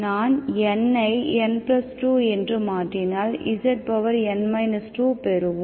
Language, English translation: Tamil, If I replace N by N +2, what happens to this